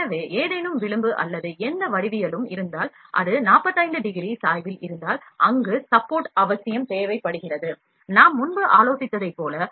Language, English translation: Tamil, So, if any profile or any geometry where you find this taper is more than 45 degree, we need to provide support like I discussed